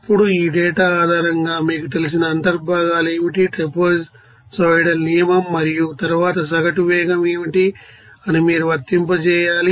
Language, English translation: Telugu, Now, based on this data you have to apply what should be the you know integrals based on that, you know trapezoidal rule and then what should be the average velocity